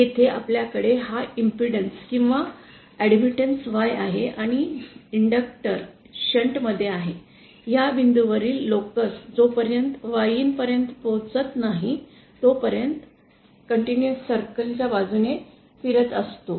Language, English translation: Marathi, Here we have this impedance or admittance Y and on connecting inductor in shunt, the locus of this point which moves along a constant conductance circle till it reaches this point YN